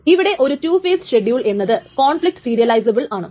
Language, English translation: Malayalam, So, the two phase locking protocol is conflict serializable